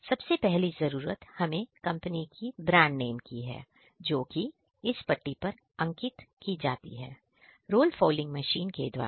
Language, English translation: Hindi, The initial requirement is the brand name of the company which is printed by the roll fouling machine